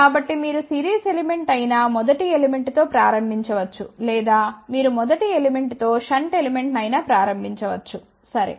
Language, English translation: Telugu, So, it does not matter you can start with either first element which is series element or you can start with the first element as a shunt element, ok